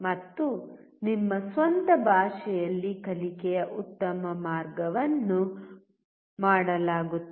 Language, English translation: Kannada, And the best way of learning is done in your own language